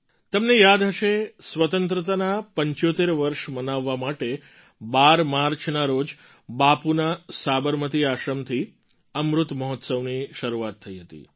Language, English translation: Gujarati, You may remember, to commemorate 75 years of Freedom, Amrit Mahotsav had commenced on the 12th of March from Bapu's Sabarmati Ashram